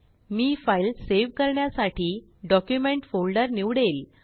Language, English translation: Marathi, I will select Document folder for saving the file